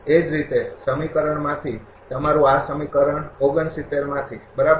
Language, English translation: Gujarati, Similarly, from equation your this from equation 69, right